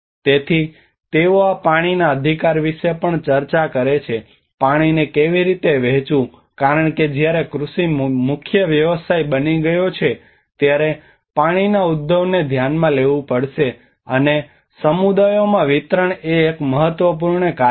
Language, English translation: Gujarati, So they also discuss about these water rights; how to share the water because when agriculture has become the main occupation, one has to look at water resourcing and distribution is an important task among the communities